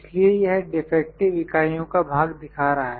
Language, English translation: Hindi, So, it is showing the proportion of defective units